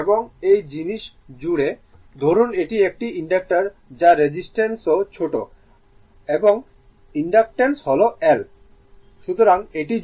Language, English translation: Bengali, So, , and across this thing , say , it is an inductor which has resistance also small r and inductance say L